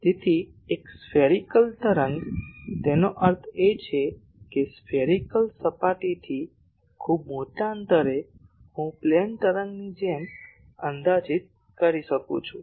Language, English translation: Gujarati, So, a spherical wave; that means, the spherical surface at a very large distance I can approximated as plane wave